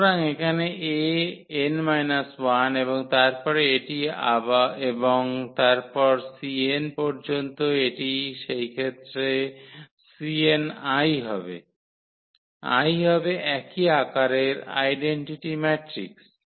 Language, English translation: Bengali, So, here A power n minus 1 and then this and so on up to c n this will be in that case c n into I, I will be the identity matrix of the same size